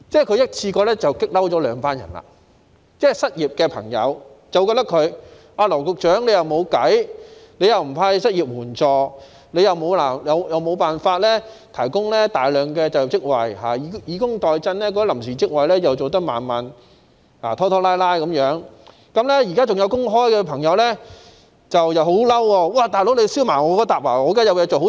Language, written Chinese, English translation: Cantonese, 他一次過把兩群人激怒，失業的朋友覺得他既沒有解決辦法，又不派發失業援助，亦無法提供大量就業職位，以工代賑的臨時職位又處理得拖拖拉拉；而現時仍有工作的朋友亦感到很生氣，"'老兄'，怎麼拉他們下水？, He has provoked two groups of people in one go . The unemployed are of the view that having no solution he still refuses to dole out any unemployment assistance and having no way to provide a large number of jobs he is dragging his feet in handling the provision of temporary posts under a welfare - to - work approach . Those who are still in employment also feel angry